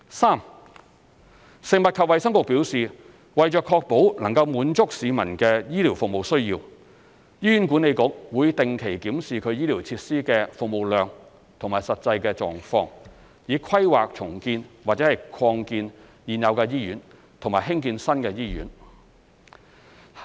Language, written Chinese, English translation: Cantonese, 三食衞局表示，為確保能滿足市民的醫療服務需要，醫院管理局會定期檢視其醫療設施的服務量和實際狀況，以規劃重建或擴建現有醫院和興建新醫院。, 3 According to FHB in order to ensure that the medical needs of the community are met the Hospital Authority HA regularly reviews the service capacity and physical conditions of its healthcare facilities for planning the redevelopment or expansion of existing hospitals and the development of new hospitals